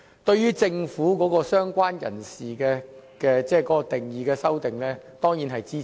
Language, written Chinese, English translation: Cantonese, 對於政府有關"相關人士"的修正案，他當然是支持的。, As for the amendment of the Government Mr LEUNG will surely support it